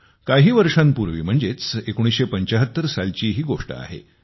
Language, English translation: Marathi, This took place years ago in 1975